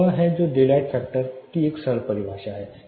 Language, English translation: Hindi, This is what is a simple definition of daylight factor